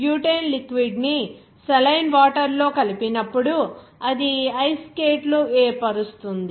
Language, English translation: Telugu, When butane liquid is added into saline water, that will result in the formation of Ice skates